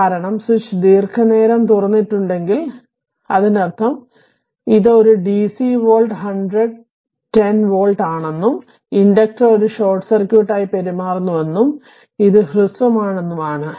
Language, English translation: Malayalam, So, this will be the circuit because if switch is open for a long time if the switch is open for a long time; that means, ah that it is a dc volt 100 10 volt right and inductor behaves as a short circuit inductor behaves as a short circuit so, it is short